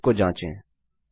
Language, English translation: Hindi, Lets test it out